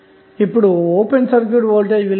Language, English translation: Telugu, Now, what would be the value of open circuit voltage